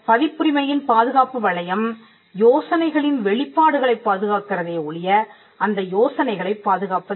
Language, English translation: Tamil, The scope of the copyright protects only expressions of idea and it does not protect the ideas themselves